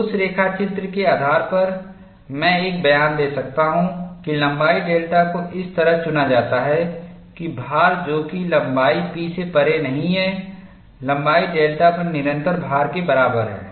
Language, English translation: Hindi, We have already seen the sketch, based on that sketch I can make a statement that length delta is chosen such that; the load that is not taken beyond point P on length lambda is equal to the load sustained on length one